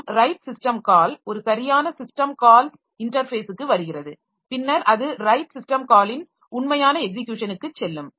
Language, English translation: Tamil, So it will convert this into a right system call and the right system call is coming to the right a system call interface and then it will go to the actual execution of the right system call